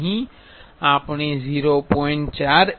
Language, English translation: Gujarati, Here we are using 0